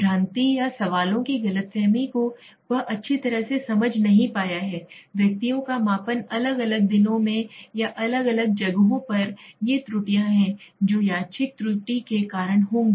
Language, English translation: Hindi, Misreading or misunderstanding the questions he has not understood this well, measurement of the individuals on different days or in different places, these are the errors that will happen due to random error